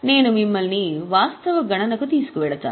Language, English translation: Telugu, I will just take you to the actual calculation